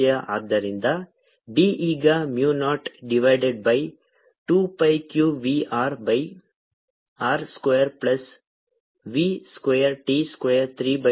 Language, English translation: Kannada, so b comes out to be mu naught divided by two pi, q v, r, r squared plus v square, t square, three by two